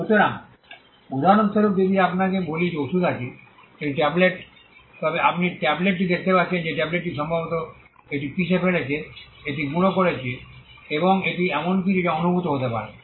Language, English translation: Bengali, So, for instance if I tell you that there is a medicine a tablet, then you can see the tablet perceive the tablet probably crush it, powder it, and it is something that can be felt